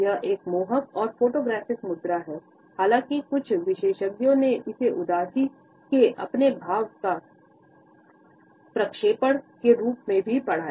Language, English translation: Hindi, It is a flattering and photographic pose; however, some experts have also read it as a projection of his sense of melancholy